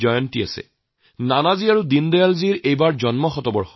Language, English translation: Assamese, This is the centenary year of Nanaji and Deen Dayal ji